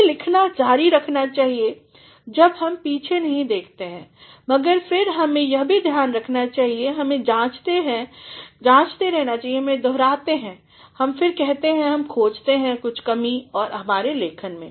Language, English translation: Hindi, One should continue to write once you never look back, but then one should also see to it that, he analyzes, he revises, he reiterates, he also find there is something lacking in his writing